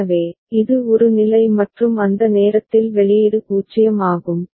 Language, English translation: Tamil, So, it is state a and at that time output is 0